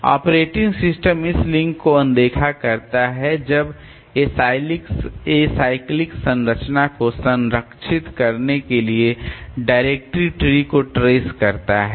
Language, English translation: Hindi, Operating system ignores these links when traversing directory is to preserve the acyclic structure